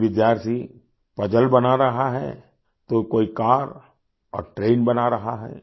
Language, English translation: Hindi, Some students are making a puzzle while another make a car orconstruct a train